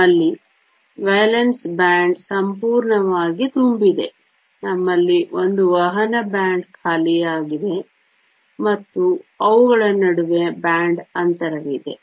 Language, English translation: Kannada, We have a valence band that is completely full, we have a conduction band that is empty and we have a band gap in between them